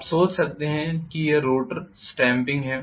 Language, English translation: Hindi, You can imagine this is what is the rotors stamping